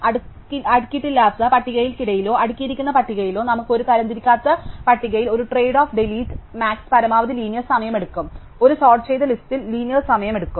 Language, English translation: Malayalam, So, between an unsorted list and in a sorted list, we have a trade off in an unsorted list delete max takes linear time, in a sorted list insert takes linear time